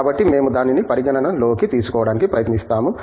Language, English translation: Telugu, So, we try to take that into account